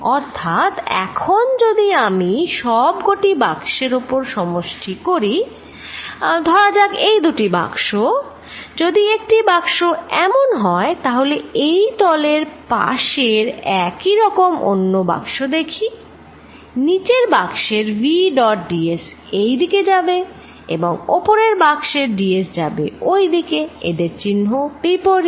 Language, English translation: Bengali, So, now, if I add this over all boxes I have to add this or over all boxes, look at two particular boxes, if I take one box like this I leave look at an adjacent box on this common surface v dot d s for the lower box would have d s going this way and for the upper box d s is going this way, there are opposite in signs